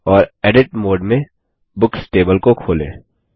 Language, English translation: Hindi, And open the Books table in Edit mode